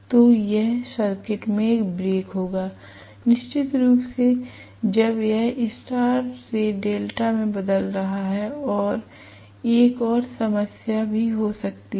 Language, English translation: Hindi, So, this will have a break in the circuit, definitely when it is changing over from star to delta and one more problem also can be